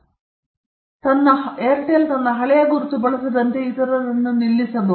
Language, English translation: Kannada, Yeah and Airtel can stop others from using its old mark